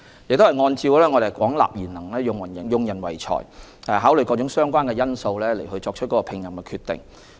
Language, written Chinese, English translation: Cantonese, 我們按照廣納賢能、用人唯才的原則，並考慮各種相關因素後作出聘任決定。, We adhere to the principles of recruiting talents from all quarters and meritocracy and make appointment decisions having regard to various relevant factors